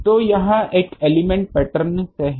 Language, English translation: Hindi, So, that this is from an element pattern